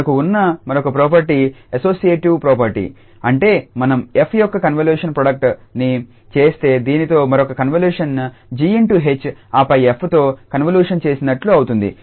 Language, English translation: Telugu, Another property we have the so called associative property that means if we make a convolution product of f with this another convolution g star h and then the convolution with f